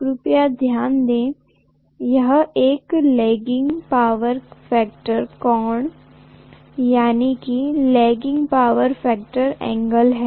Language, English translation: Hindi, Please note, it is a lagging power factor angle